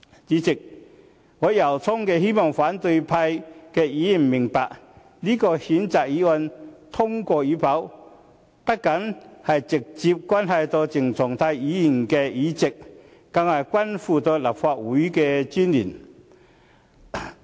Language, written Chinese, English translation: Cantonese, 主席，我由衷希望反對派議員明白，這項譴責議案通過與否，不僅直接關係到鄭松泰的議席，更是關乎立法會的尊嚴。, President I sincerely hope Members of the opposition camp will understand that the passage or otherwise of the motion is not only directly related to the seat of CHENG Chung - tai it is also related to the dignity of the Legislative Council